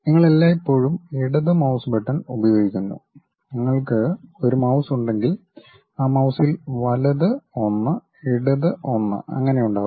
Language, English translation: Malayalam, You always use left mouse button, something like if you have a mouse, in that mouse the right one, left one will be there